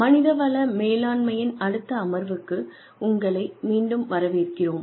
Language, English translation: Tamil, Welcome back, to the next session on, Human Resources Management